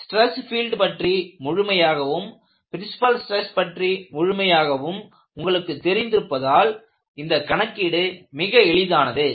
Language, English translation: Tamil, Because the problem is so simple, completely the stress field you also know what is the definition of a principle stress